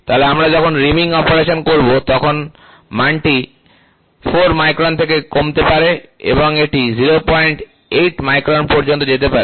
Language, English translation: Bengali, So, when we take reaming operation, the value might be expected to fall from 4 microns it might go up to 0